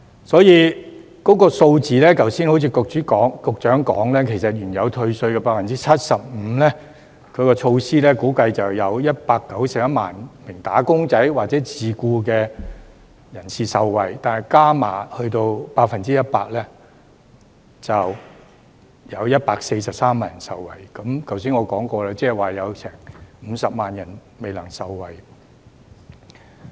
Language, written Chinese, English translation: Cantonese, 所以，在數字上，正如局長剛才指出，原退稅 75% 的措施估計會有約191萬名"打工仔"或自僱人士受惠，而再加碼到 100% 後，就會有143萬人受惠，即是正如我剛才所說，有50萬人未能受惠。, Therefore in terms of figures as the Secretary pointed out earlier the original measure to reduce tax by 75 % is estimated to benefit about 1.91 million wage earners or self - employed persons while the increase to 100 % will benefit 1.43 million people . In other words as I said just now 500 000 people will not benefit